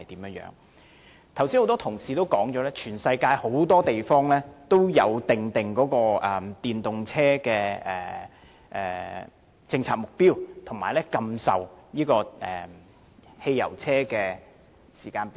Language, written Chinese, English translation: Cantonese, 剛才多位議員已曾提到，全世界很多地方均有訂定電動車政策目標，以及禁售汽油車的時間表。, And third its actual implementation in society . A number of Members have already mentioned that many places in the world have formulated their policy objectives on using EVs and timetables for banning the sale of fuel - engined vehicles